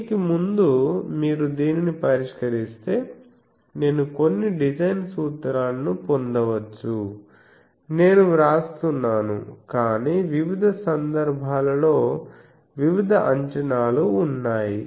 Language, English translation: Telugu, So, before that if you solve this, you can get some design formulas are given I am writing, but there are various cases various assumptions